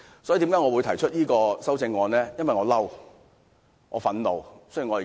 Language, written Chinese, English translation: Cantonese, 所以，我提出此項修正案，是因為我生氣、憤怒。, I put forward this amendment because I am upset and angry